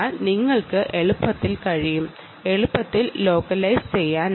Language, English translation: Malayalam, it can be easily localized